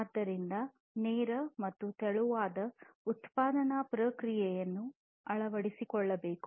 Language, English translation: Kannada, So, lean and thin production process should be adopted